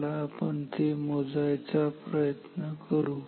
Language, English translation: Marathi, So let us compute that